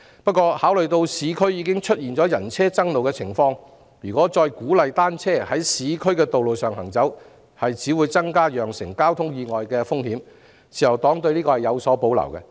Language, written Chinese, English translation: Cantonese, 可是，考慮到市區已經常出現人車爭路的情況，如果再鼓勵單車在市區的道路上行走，只會增加釀成交通意外的風險，故自由黨對此有所保留。, However having regard to the existing vehicle - pedestrian conflicts in urban areas the Liberal Party has reservations about encouraging the use of bicycles on urban roads because it will definitely increase the risk of traffic accidents